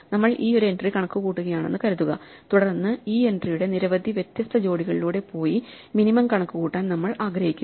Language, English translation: Malayalam, Supposing, we are computing this one entry then we want to compute the minimum across many different pairs right this entry this entry and so on